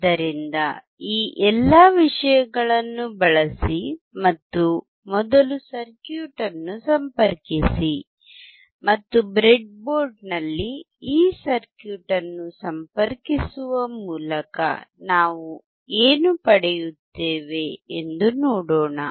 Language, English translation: Kannada, So, use all these things and connect the circuit first and let us see what we get by connecting this circuit in the breadboard